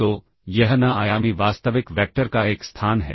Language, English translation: Hindi, So, this is a space of n dimensional real vectors